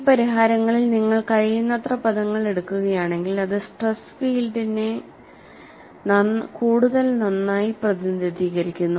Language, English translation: Malayalam, And in these solutions, if you take as many terms as possible, it closely models the stress field